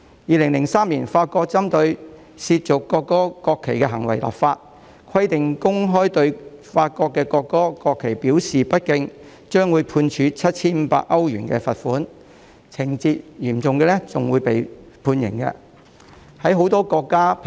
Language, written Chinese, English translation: Cantonese, 2003年，法國針對褻瀆國歌和國旗的行為立法，規定若公開對法國的國歌或國旗表示不敬，將會判處 7,500 歐羅的罰款，情節嚴重的話更會判處監禁。, In 2003 France enacted legislation against acts of desecrating the national anthem and the national flag which stipulates that people who disrespect the national anthem or the national flag of France publicly will be fined €7,500 and they may be jailed if the case is of a serious nature